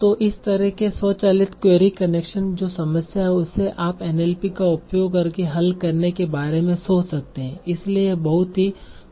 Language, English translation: Hindi, So this kind of automatic query correction, which is a problem that you can think of solving by using NLP, very, very, so in very systematic manner